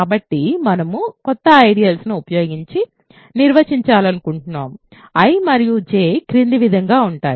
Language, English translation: Telugu, So, we define new ideals using I and J as follows ok